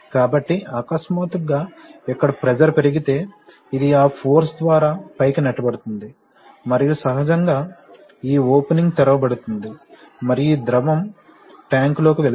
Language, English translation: Telugu, So, suddenly if the pressure rises is high here, this will be pushed up by that force and naturally this opening will be opened and fluid will drain to tank, this is tank